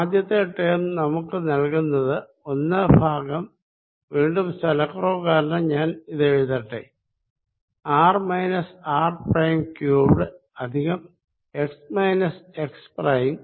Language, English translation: Malayalam, let me again, for the lack of space, write this is r minus r prime cubed plus x minus x prime